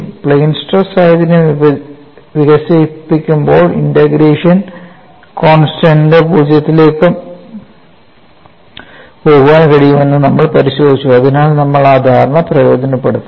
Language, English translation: Malayalam, And while developing the plane stress situation, we have looked at the integration constants can go to zero so we take advantage of that understanding